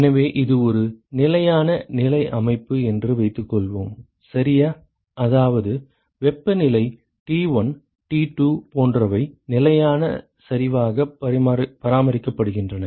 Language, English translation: Tamil, So, suppose we assume that it is a steady state system, ok, which means that the temperature T1, T2 etcetera are maintained constant ok